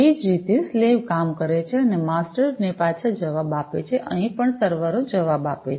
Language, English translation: Gujarati, In the same way, as the slaves who do the work and respond back to the masters, here also the servers respond back